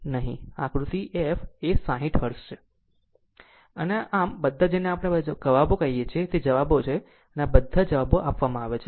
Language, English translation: Gujarati, So, and all theseyour what we call all these answers are answers are given so, all these answers are given